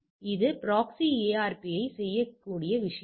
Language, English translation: Tamil, So, this is the thing it can do the proxy ARP